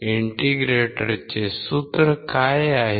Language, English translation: Marathi, What is the formula of an integrator